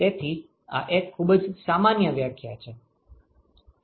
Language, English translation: Gujarati, So, this is a very generic definition